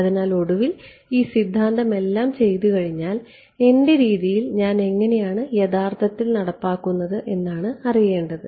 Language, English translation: Malayalam, So, finally, after having done all of this theory the payoff is how do I actually implemented in my method